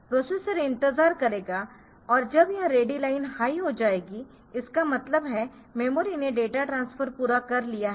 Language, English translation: Hindi, So, that it will be the processor will be waiting and when this ready becomes high; that means, the memory has completed the data transfer